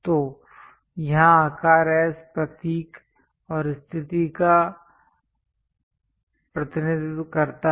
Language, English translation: Hindi, So, here size represents S symbol and positions location